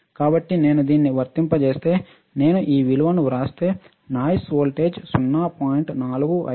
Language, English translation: Telugu, So, if I apply this if I write this values I can find out the noise voltage which is 0